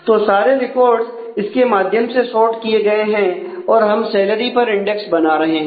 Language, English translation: Hindi, So, the whole recall records are sorted in terms of that and we are creating an index on the salary